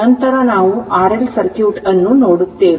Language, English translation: Kannada, So, this is your R L circuit